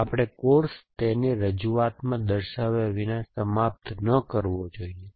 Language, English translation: Gujarati, We should not finish and course without acknowledge in presentation